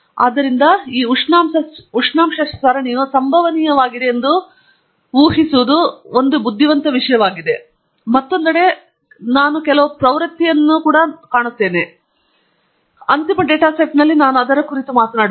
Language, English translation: Kannada, So, it may be a wise thing to assume that this temperature series is stochastic, but on the other hand I also find some trends, and we will talk about it in the next and final data set that will take up